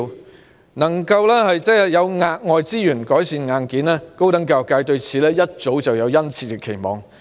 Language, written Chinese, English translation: Cantonese, 對於能夠有額外資源改善硬件，高等教育界早已有殷切期望。, They have high expectation for having additional resources for hardware improvement